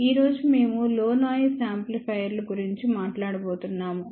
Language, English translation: Telugu, Today, we are going to talk about low noise amplifiers